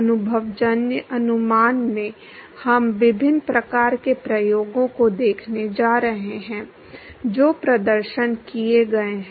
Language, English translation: Hindi, In the empirical estimation, we going to look at different kinds of experiments there is been perform